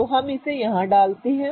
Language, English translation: Hindi, So, let's put it here